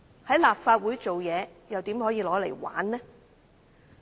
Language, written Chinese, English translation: Cantonese, 在立法會工作，怎可以視之為玩意呢？, How can our work in the Legislative Council be taken as a game?